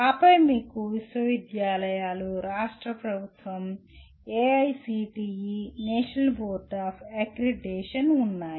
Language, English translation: Telugu, And then you have universities, state government, AICTE, National Board of Accreditation